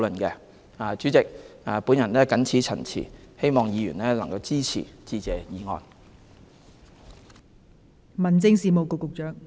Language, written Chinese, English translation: Cantonese, 代理主席，我謹此陳辭，希望議員支持致謝議案。, Deputy President with these remarks I hope Members will support the Motion of Thanks